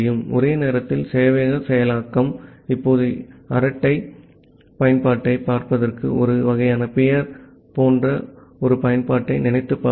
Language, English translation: Tamil, Concurrent server implementation, now think of a application something like that a kind of peer to peer chat application